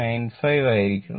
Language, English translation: Malayalam, 95 it was 0